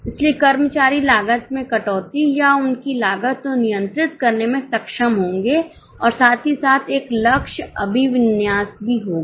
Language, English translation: Hindi, So, employees will be able to cut down on costs or control their costs and at the same time there will be a goal orientation